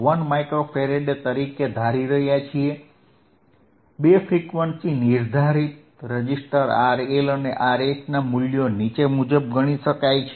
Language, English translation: Gujarati, 1 Micro Farad, the values of two frequency determinesing registersistors R L and R H can be calculated as follows